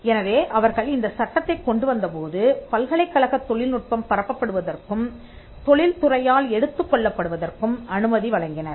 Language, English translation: Tamil, So, when they came up with the Act, they allowed university technology to be diffused into and taken up by the industry